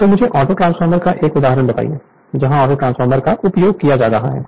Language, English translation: Hindi, So, you tell me give one example of Autotransformer right, where where Autotransformer is being used right